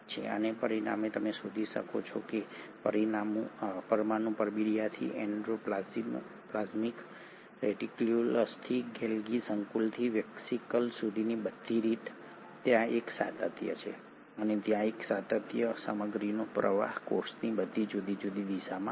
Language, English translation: Gujarati, And as a result what you find is all the way from the nuclear envelope to the endoplasmic reticulum to the Golgi complex to the vesicle there is a continuity and there is a continuity and the flow of material happening to all different directions of the cell